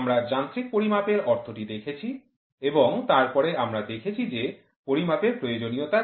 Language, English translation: Bengali, We have seen the meaning for mechanical measurement and then we have seen what is the need for measurement